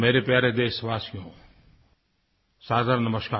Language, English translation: Hindi, My dear countrymen, Saadar Namaskar